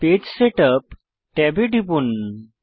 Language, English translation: Bengali, Click the Page Setup tab